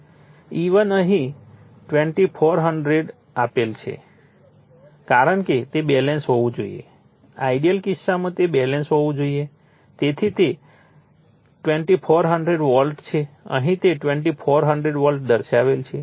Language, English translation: Gujarati, E1 is given herE2400 because it has to be balance ideal case it has to be balanced right so, it is 2400 volt here also it is showing 2400 volts right